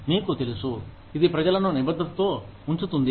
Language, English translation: Telugu, You know, it keeps people committed